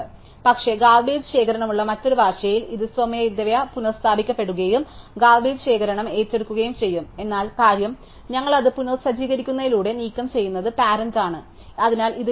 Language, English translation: Malayalam, But, in a other language which have garbage collection, this will they automatically be restored and garbage collection takes a over, but the point is that we have just simply removing it by resetting are parents point at be there, so this is the leaf case